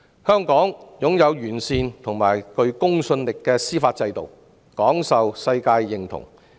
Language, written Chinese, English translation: Cantonese, 香港擁有完善及具公信力的司法制度，廣受世界認同。, Hong Kong has a sound and credible judicial system which is well - recognized around the world